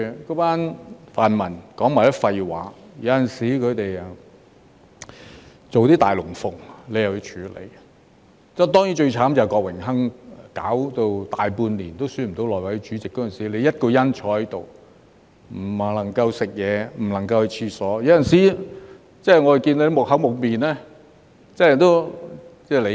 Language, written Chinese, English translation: Cantonese, 那班泛民說的全是廢話，有時他們做些"大龍鳳"，你又要處理，當然，最要命的就是郭榮鏗搞了大半年都選不出內務委員會主席，那時你一個人坐在這裏，不能去吃東西，不能去廁所，有時我們看到你木無表情，這真的可以理解。, Not only did those pan - democrats speak gibberish they also put on some big shows every now and then which required you to deal with . Doubtlessly the worst of all was that Dennis KWOK had spent more than half a year failing to elect the Chairman of the House Committee . Back then you had to sit through the meetings by yourself without any meal break or bathroom break